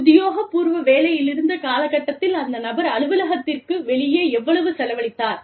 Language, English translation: Tamil, How much of that period, that the person spent out of the office, was on official work